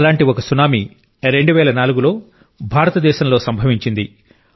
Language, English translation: Telugu, A similar tsunami had hit India in 2004